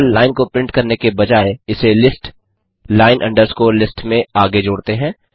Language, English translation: Hindi, Instead of just printing the lines, let us append them to a list, line underscore list